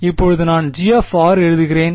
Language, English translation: Tamil, Now I will just write G of r